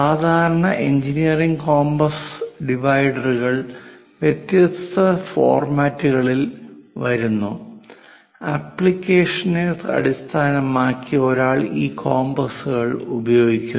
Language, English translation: Malayalam, So, typical engineering compass dividers come in different formats; based on the application, one uses this compass